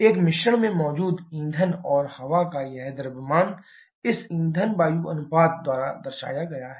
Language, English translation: Hindi, This mass of fuel and air present in a mixture is represented by this fuel air ratio